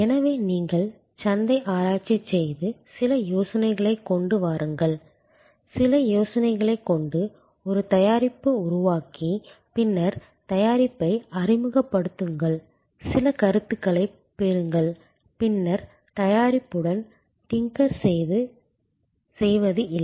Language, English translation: Tamil, So, it is no longer that you do market research, come up with some ideas, tinker with some ideas, create a product and then introduce the product, get some feedback and then tinker with the product, no